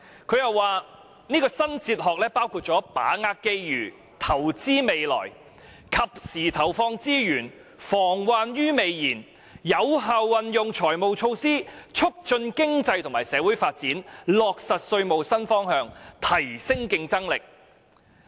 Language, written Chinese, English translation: Cantonese, "她又指出這套新哲學包括："把握機遇，投資未來"、"及時投放資源，防患於未然"、"有效運用財務措施，促進經濟和社會發展"，以及"落實稅務新方向，提升競爭力"。, She also pointed out that the new philosophy included seize the opportunity and invest for the future timely investments as preventive measures an effective fiscal policy for economic and social development and new direction for taxation to enhance competitiveness